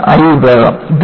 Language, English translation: Malayalam, This is the" I section"